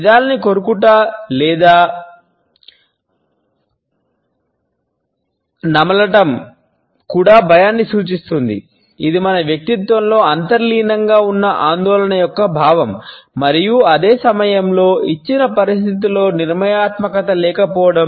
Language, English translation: Telugu, Biting lips or chewing on the lips, also indicates fear, a sense of anxiety which is underlying in our personality and at the same time is certain lack of decisiveness in the given situation